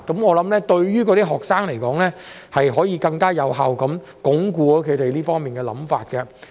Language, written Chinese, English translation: Cantonese, 我認為對於學生來說，這樣可以更有效鞏固他們這方面的想法。, In my view such an approach is more effective in reinforcing students conception on this subject